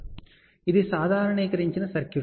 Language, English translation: Telugu, So, that is a normalized circuit